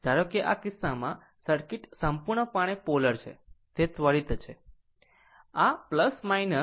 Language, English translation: Gujarati, Suppose, in this case, in this case circuit is purely polarity is instantaneous